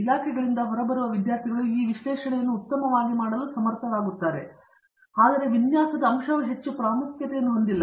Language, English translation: Kannada, The students who come out of the departments are able to do the analysis very well but, the design aspect is not emphasized as much